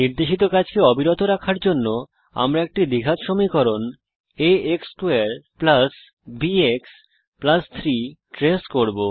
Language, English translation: Bengali, To continue with the assignment, we will be tracing a quadratic function a x^2 + bx + 3